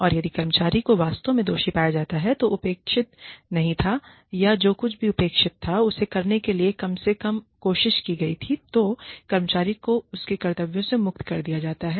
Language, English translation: Hindi, And, if the employee is really found to be guilty, of not having done, whatever was expected, or, at least having tried, whatever was expected, then the employee is finally discharged, from her or his duties